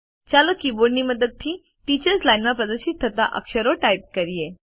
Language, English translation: Gujarati, Let us type the character displayed in the teachers line using the keyboard